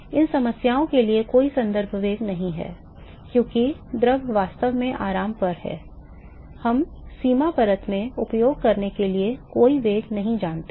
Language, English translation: Hindi, There is no reference velocity for these problems because the fluid is actually at rest, we do not know any velocity to use in the boundary layer